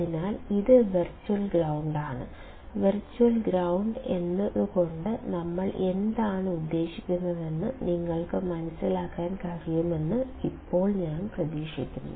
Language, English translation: Malayalam, So, this is virtual ground; now I hope that you guys can understand what we mean by virtual ground